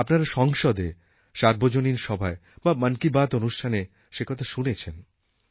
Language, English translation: Bengali, You must have heard me speak in the parliament, in public forums or Mann Ki Baat about it